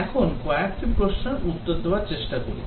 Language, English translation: Bengali, Now, let us try to answer few questions